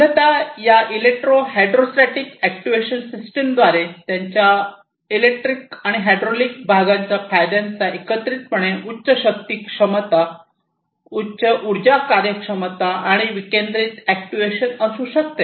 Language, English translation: Marathi, So, essentially these electro hydrostatic actuation systems by combining the advantages of their electric and hydraulic counterparts together can have higher force capability, higher energy efficiency and decentralized actuation